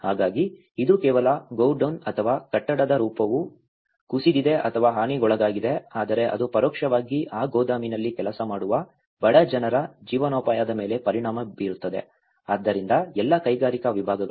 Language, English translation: Kannada, So, it has not only the godown or not only the built form which has been collapsed or damaged but it will indirectly affect the livelihoods of the poor people who are working in that godown, so all the industrial segment